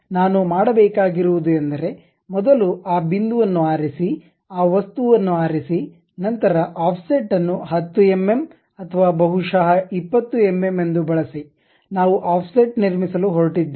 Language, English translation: Kannada, So, what I have to do is first pick that point uh pick that object then use Offset with 10 mm or perhaps 20 mm we are going to construct offset